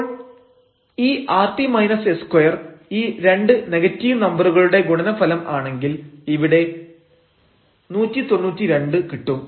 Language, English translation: Malayalam, So, if rt minus s square this is a product of these 2 negative number we have plus 192 and in this case we have minus 192